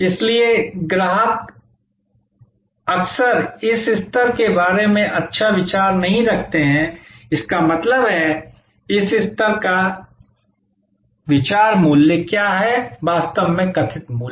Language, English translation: Hindi, So, customer therefore, often does not have the good idea about this level; that means, of this level; that means, what is the perceive value, really perceived value